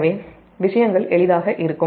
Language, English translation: Tamil, perhaps it will be easier for you